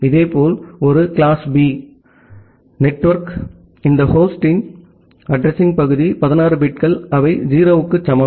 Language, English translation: Tamil, Similarly, a class B network, you have all these host address part the 16 bits they are equal to 0